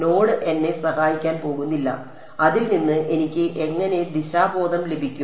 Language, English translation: Malayalam, Node is not going to help me how do I get direction out of it